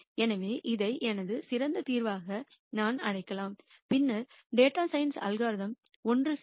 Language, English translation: Tamil, So, I might call this as my best solution and then the data science algorithm will converge